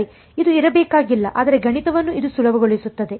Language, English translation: Kannada, They need not be, but it makes math easier